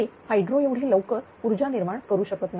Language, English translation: Marathi, So, it cannot generate power as fast as hydro, right